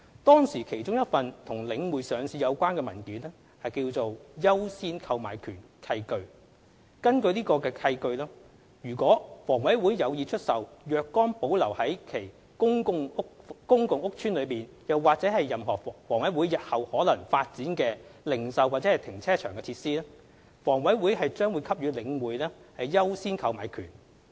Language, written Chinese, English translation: Cantonese, 當時其中一份與領匯上市有關的文件為"優先購買權契據"。根據該契據，倘房委會有意出售若干保留於其公共屋邨內或任何房委會日後可能發展的零售及停車場設施，房委會將給予領匯"優先購買權"。, One of the documents relating to the listing of The Link was the Deed of Right of First Refusal the Deed under which HA is obliged offer The Link a right of first refusal in the event that it wished to sell certain retail and carparking facilities retained within its housing estates or that HA might develop in the future